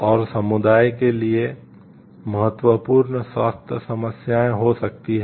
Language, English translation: Hindi, And the significant health problems for the community may result